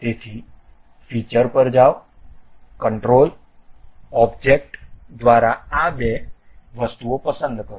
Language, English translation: Gujarati, So, go to features, select these two things by control object